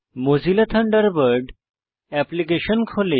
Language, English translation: Bengali, The Mozilla Thunderbird application opens